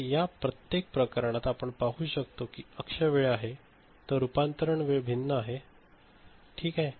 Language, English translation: Marathi, So, for each of these cases, you can see this axis is time; so, conversion time is different ok